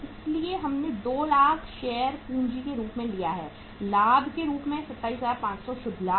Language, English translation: Hindi, So we have taken 2 lakhs as share capital; 27,500 as the profit, net profit